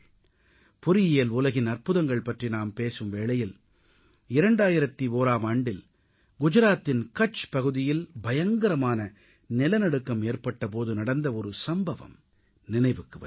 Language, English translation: Tamil, When I talk of wonders in the Engineering world, I am reminded of an incident of 2001 when a devastating earth quake hit Kutch in Gujarat